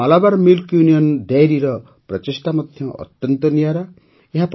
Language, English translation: Odia, The effort of Malabar Milk Union Dairy of Kerala is also very unique